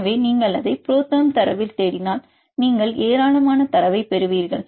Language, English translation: Tamil, So, if you search that you ProTherm data you will get plenty of data